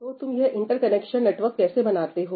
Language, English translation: Hindi, So, how do you form these interconnection networks